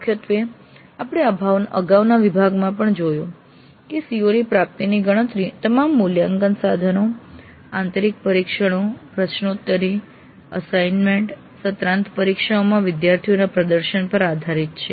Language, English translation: Gujarati, Primarily we have seen earlier in the earlier module also that computing attainment of COs is based on students performance in all the assessment instruments, internal tests, quizzes, assignments, semester examinations